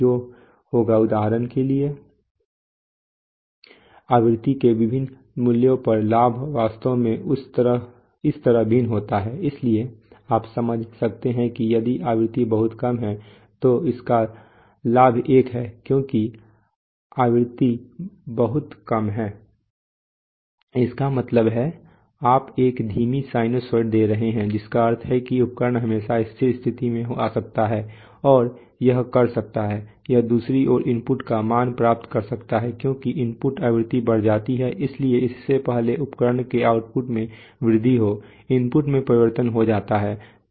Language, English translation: Hindi, Which will, so for example the gain over different values of frequency actually varies like this, so you can understand that if the if the frequency is too low then the then the gain of that is one because so the frequency is too low means, you are giving a slow sinusoid which means that the instrument can always come to steady state and it can, it can get the value of the input on the other hand as the input frequency increases, so before the, before the output of the instrument can really rise the input changes